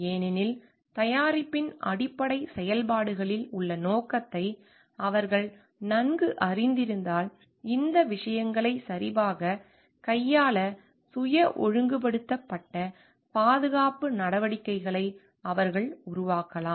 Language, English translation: Tamil, Because if their familiar with the purpose at basic functions of the product, they may develop a like self regulated safety measures to handle these things properly